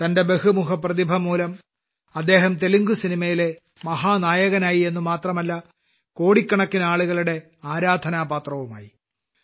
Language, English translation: Malayalam, On the strength of his versatility of talent, he not only became the superstar of Telugu cinema, but also won the hearts of crores of people